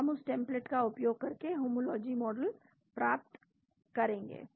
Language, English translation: Hindi, So, we get homology model using that template